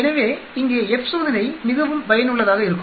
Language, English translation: Tamil, So here the F test is very, very useful